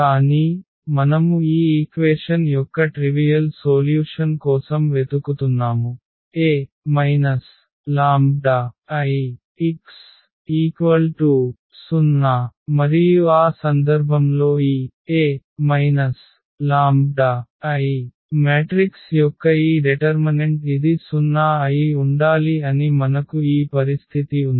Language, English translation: Telugu, But, we are looking for a non trivial solution of this equation A minus lambda I x is equal to 0 and in that case we have this condition that this determinant of this A minus lambda I matrix this must be 0